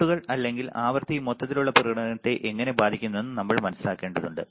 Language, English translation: Malayalam, We had to understand how the plots or how the frequency will affect the overall performance right